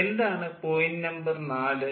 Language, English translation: Malayalam, what is point number four